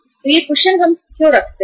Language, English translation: Hindi, So why this cushion we keep